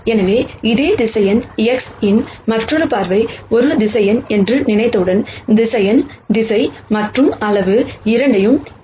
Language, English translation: Tamil, So, this is another view of the same vector X and once we think of this as a vec tor then, vector has both direction and magnitude